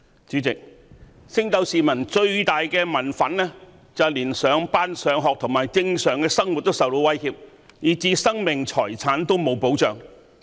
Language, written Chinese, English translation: Cantonese, 主席，升斗市民最大的民憤是連上班、上學及正常生活均受到威脅，以致生命財產失去保障。, President the greatest public resentment is that people are at risk going to work or school and living a normal life and their personal safety and property are no longer protected